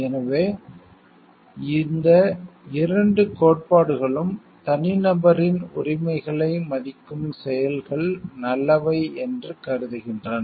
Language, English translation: Tamil, So, both of these theories tries to hold that those actions are good which you respect the rights of the individual